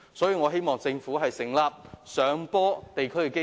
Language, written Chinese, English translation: Cantonese, 所以，我希望政府成立"上坡電梯基金"。, Hence I hope that the Government will set up an uphill elevator and escalator fund